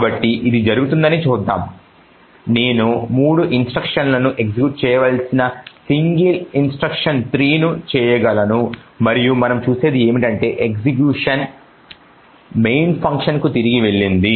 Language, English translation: Telugu, So, let us see this happening, so I can do single instruction 3 which should execute 3 instructions and what we see is that the execution has gone back to the main function